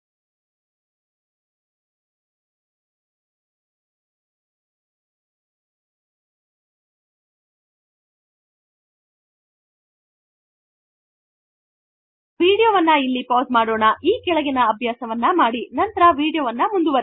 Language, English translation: Kannada, Now, pause the video here, try out the following exercise and resume the video